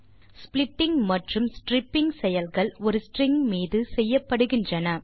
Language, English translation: Tamil, The splitting and stripping operations are done on a string and their result is also a string